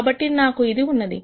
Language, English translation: Telugu, So, I have this